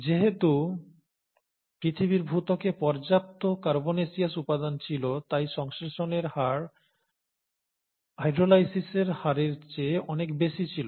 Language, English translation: Bengali, And since there were sufficient carbonaceous material available in the earth’s crust, the rate of synthesis was much much higher than the rate of hydrolysis